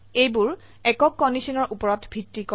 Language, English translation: Assamese, These are based on a single condition